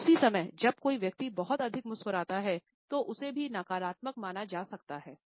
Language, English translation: Hindi, At the same time when a person smiles too much, it also is considered to be negative